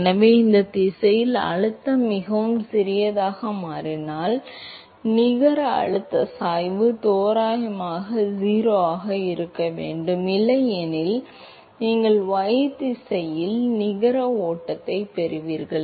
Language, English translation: Tamil, So, if the pressure changes very small in that direction and the net pressure gradient has to be approximately 0, otherwise you going to have a net flow in y direction